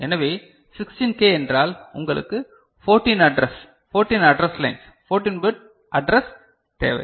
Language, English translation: Tamil, So, 16K means you need 14 address you know pins, 14 address lines, 14 bit address